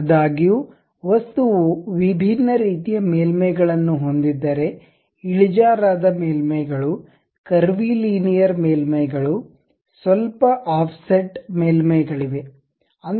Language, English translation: Kannada, However, if object have different kind of surfaces; inclined surfaces, curvy linear surfaces which are bit offset